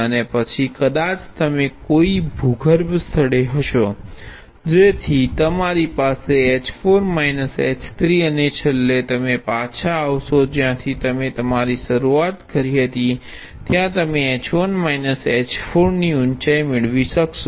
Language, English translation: Gujarati, And then maybe you will walk down to some underground place, so you will have h 4 minus h 3, and finally, you come back to where you started off with you will gain a height of h 1 minus h 4